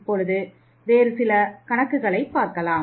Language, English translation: Tamil, Now let us take some other type of problem